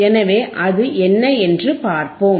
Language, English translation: Tamil, So, let us see what is that